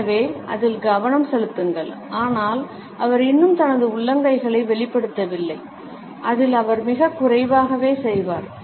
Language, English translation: Tamil, So, focus on that, but not he has not yet revealed his palms and he will do very little of that